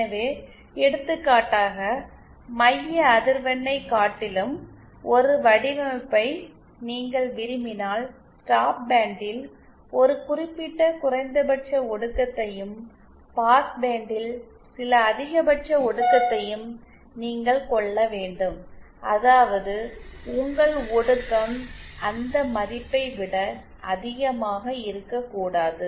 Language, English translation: Tamil, So, for example if you want a design, rather than the centre frequency, you want a certain minimum attenuation in the stop band and certain maximum attenuation in the passband, that is your attenuation cannot exceed that value